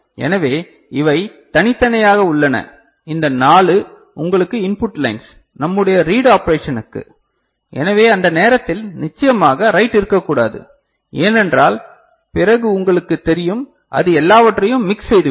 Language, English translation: Tamil, So, these are separate this 4 you know input lines are there and for our read operation so, at that time definitely write should not be there then there will be you know, mix up all right